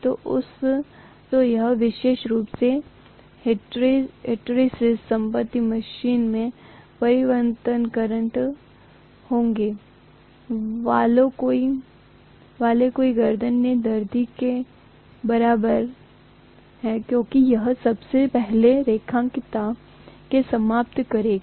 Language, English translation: Hindi, So this particular hysteresis property is a pain in the neck in many of the alternating current machines because it will first of all eliminate the linearity